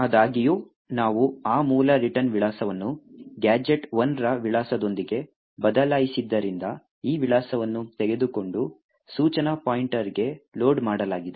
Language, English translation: Kannada, However, since we have replaced that original return address with the address of gadget 1, this address is taken and loaded into the instruction pointer